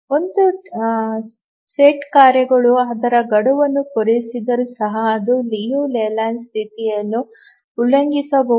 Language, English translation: Kannada, Even if a task set is will meet its deadline but it may violate the Liu Leyland condition